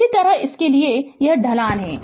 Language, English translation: Hindi, So, this is the slope